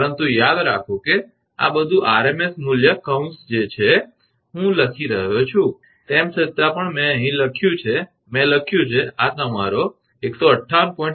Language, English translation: Gujarati, 87 kV, but remember this is all rms value bracket I am writing here although I have written here also I have written this is your 158